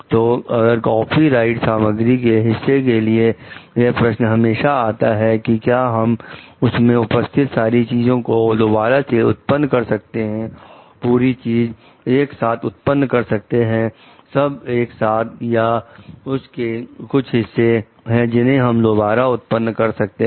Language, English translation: Hindi, So, if a part of the copyrighted material so, it also like comes to question can we reproduce the entire part entire thing together, together all or there are certain parts which we can reproduce, which is like